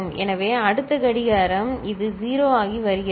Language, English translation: Tamil, So, next clock right this is becoming 0